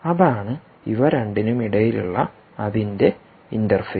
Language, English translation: Malayalam, so its interface between the two of them